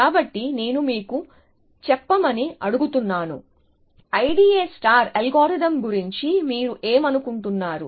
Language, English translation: Telugu, So, maybe I will ask you to tell me, what do you think of the I D A star algorithm